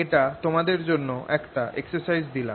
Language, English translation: Bengali, this i'll leave as an exercise